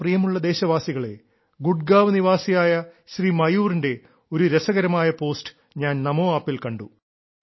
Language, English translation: Malayalam, I saw an interesting post by Mayur, a resident of Gurgaon, on the NaMo App